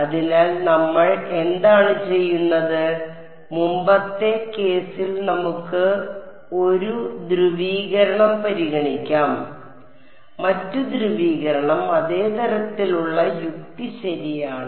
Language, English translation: Malayalam, So, what we will do is like in the previous case we can consider 1 polarization, the other polarization the same kind of logic will follow right